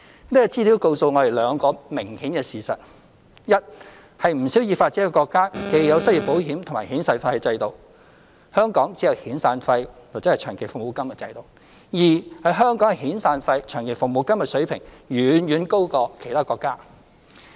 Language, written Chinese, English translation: Cantonese, 這資料告訴我們兩個明顯的事實：一是不少已發展國家既有失業保險亦有遣散費的制度，香港只有遣散費/長期服務金的制度；二是香港遣散費/長期服務金的水平遠遠高過其他國家。, This information shows us two obvious facts First quite a large number of developed countries have both unemployment insurance and severance payment systems whereas in Hong Kong there is only severance paymentlong service payment system . Second the level of severance paymentlong service payment in Hong Kong is far higher than that in other countries